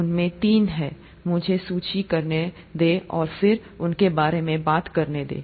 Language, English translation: Hindi, There are three of them, let me list and then talk about them